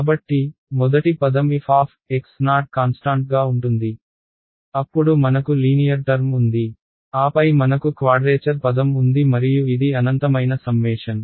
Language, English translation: Telugu, So, the first term is constant f of x naught, then I have a linear term and then I have quadratic term and so on right and it is a infinite summation